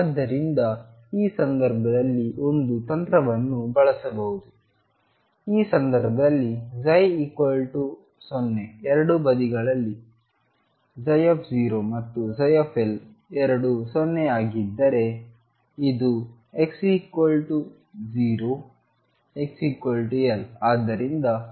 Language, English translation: Kannada, So, one technique could be in this case in which case the psi 0 on 2 sides psi 0 and psi L both are 0 this is x equals 0 x equals L